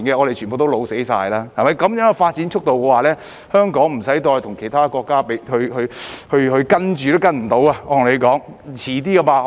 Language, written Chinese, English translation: Cantonese, 按照這樣的發展速度，香港再不用與其他國家比較了，因為根本無法可追得上。, At this rate of development Hong Kong will no longer need to compare itself with other countries since there is no way we can catch up